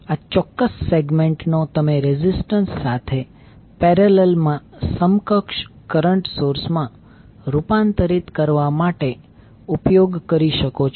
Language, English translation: Gujarati, So this particular segment you can utilize to convert into equivalent current source in parallel with resistance